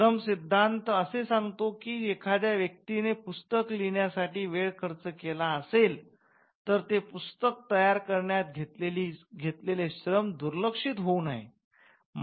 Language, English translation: Marathi, So, the labour theory which states that if a person expense time in creating a work for instance writing a book then it should not be that the labour that was spent in creating the book goes unrewarded